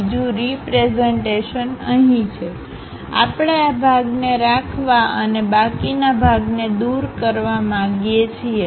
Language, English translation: Gujarati, Another representation is here we would like to keep that part and remove the remaining part